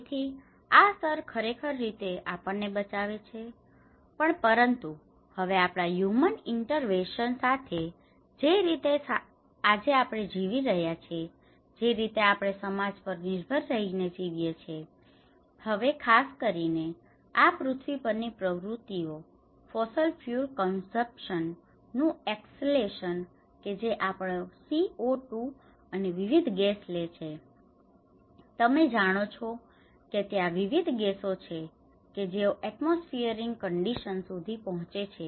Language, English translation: Gujarati, So, this layer is actually protecting us but now, with our human interventions, the way we are living today, the way we are living as a dependent society, now these activities on the earth especially, the escalation of the fossil fuel consumptions which is taking our CO2 and different gases, you know there is a different gases which reach to the atmosphere conditions